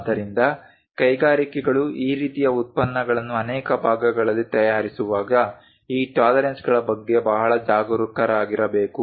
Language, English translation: Kannada, So, when industries make this kind of products in multiplication many parts one has to be very careful with this tolerances